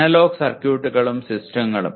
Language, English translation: Malayalam, Analog circuits and systems